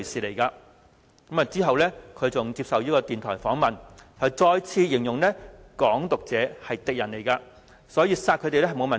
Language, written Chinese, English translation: Cantonese, 其後他接受電台訪問，再次形容"港獨"者是敵人，所以殺他們沒有問題。, Subsequently he once again described the Hong Kong independence advocates to be enemies of the city and it would be perfectly fine to kill them